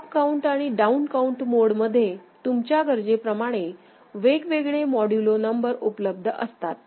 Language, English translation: Marathi, And in up count mode and down count mode, there could have been different modulo numbers available depending on your requirement ok